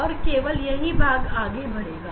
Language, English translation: Hindi, only this part will continue